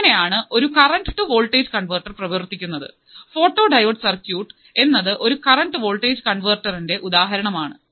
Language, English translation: Malayalam, So, this is how the current to voltage converter works, and photodiode circuit is an example of current to voltage converter